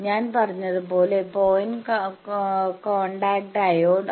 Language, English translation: Malayalam, As I said point contact diode